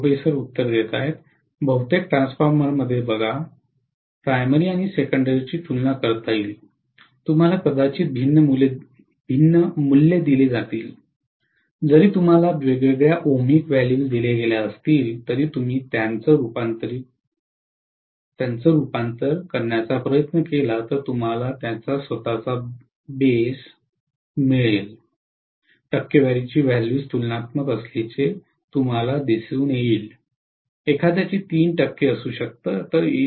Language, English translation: Marathi, See normally in most of the transformers, the primary and secondary will be comparable, you might been having given different values, even if you are given different ohmic values, if you try to convert that into, you know its own base, you will see that the percentage values are comparable, that is one may have 3 percent, the other might be 3